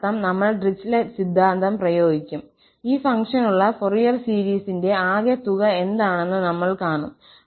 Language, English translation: Malayalam, That means, we will just apply the Dirichlet theorem and we will see that what is the sum of the Fourier series for this function